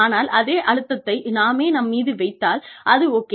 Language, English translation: Tamil, But, if we put the same stress on ourselves, then, we are okay